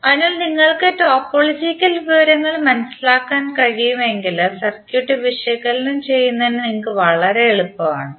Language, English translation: Malayalam, So if you can understand the topological information, it is very easy for you to analyze the circuit